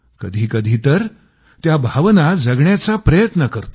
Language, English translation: Marathi, Let me sometimes try to live those very emotions